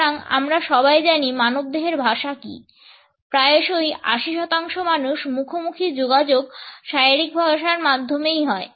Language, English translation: Bengali, So, we all know what human body language is; often times up to 80 percent of face to face communication is really through body language